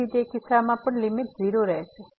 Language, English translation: Gujarati, Thus, we cannot conclude that the limit is 0